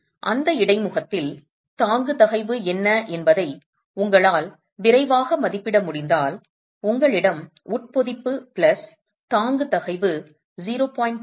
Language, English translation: Tamil, So, if you can make a quick estimate of what's the bearing stress at that interface, if you have embedment plus a bearing stress of the order of 0